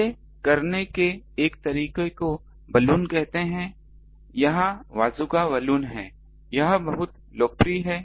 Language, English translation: Hindi, One way of doing this this is called a one of the Balun is this Bazooka Balun, it is very popular